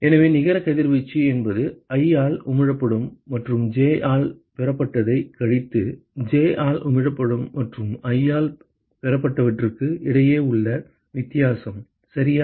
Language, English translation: Tamil, So, therefore, the net radiation is simply the difference between, what is emitted by i and received by j minus what is emitted by j and received by i ok